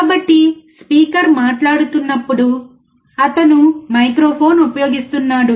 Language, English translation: Telugu, So when a speaker is speaking, he is using microphone